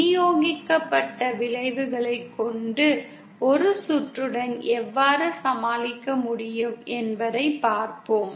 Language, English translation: Tamil, Let us see how we can deal with a circuit which has the distributed effects